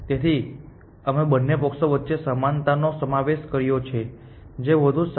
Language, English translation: Gujarati, So, we have included an equality in both the sides which one is better